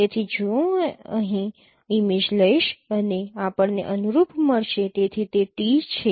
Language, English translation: Gujarati, So if I take the image here and you will get the corresponding